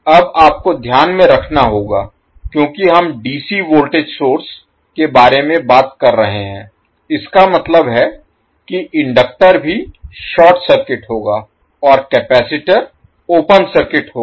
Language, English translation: Hindi, Now you have to keep in mind since we are talking about the DC voltage source it means that inductor will also be short circuited and capacitor will be open circuited